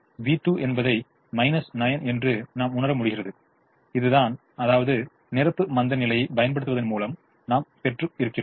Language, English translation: Tamil, we realize v two as minus nine, which is this which we would have obtained otherwise by applying complimentary slackness